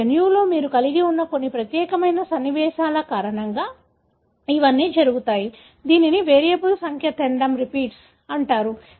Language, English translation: Telugu, So, it all happens because of certain unique sequences that you have in your genome, which is called as variable number of tandem repeats